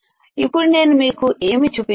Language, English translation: Telugu, Now what I have shown you